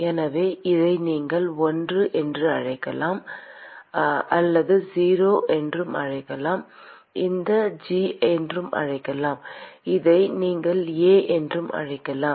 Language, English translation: Tamil, So, you could call this I, we call this O, we could call this G and you could call this A